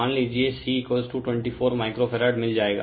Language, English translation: Hindi, Suppose C is equal to you will get 24 microfarad right